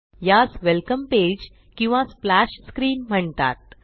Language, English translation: Marathi, This is known as the welcome page or splash screen